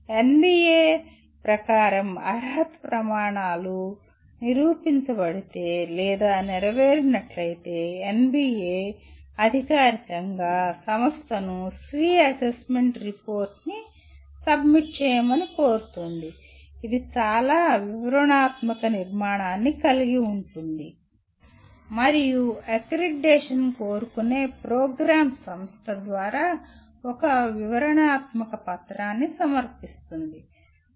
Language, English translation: Telugu, If the eligibility criteria proved or met as per NBA, then NBA formally request the institution to submit what is called Self Assessment Report which has a very detailed structure to it, and the program which is seeking accreditation submits a detailed document through the institution